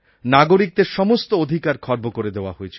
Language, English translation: Bengali, All the rights of the citizens were suspended